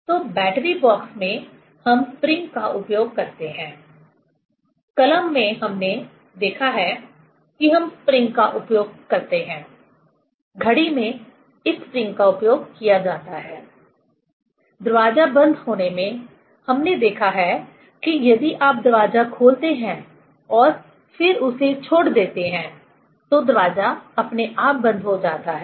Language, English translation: Hindi, So, in battery box we use spring; in pen we have seen we use spring; in clock this spring is used; in door closure we have seen that door closes automatically if you open the door and then leave it